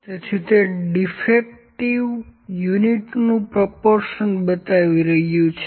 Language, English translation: Gujarati, So, it is showing the proportion of defective units